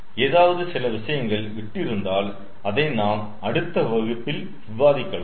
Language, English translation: Tamil, whatever small um thing is left, we can discuss it in the next class